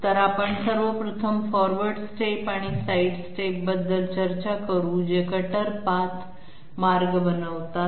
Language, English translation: Marathi, So we will be discussing 1st of all forward steps and side steps which make up the cutter path